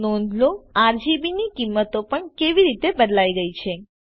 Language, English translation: Gujarati, Notice how the values of RGB have changed as well